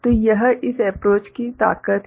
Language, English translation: Hindi, So, this is the strength of this approach